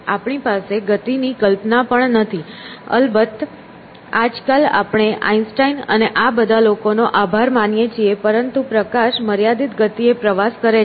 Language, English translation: Gujarati, We do not even have a notion of speed; of course nowadays we have thanks to Einstein and all these people but light travels at a finite speed